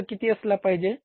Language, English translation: Marathi, What should have been the cost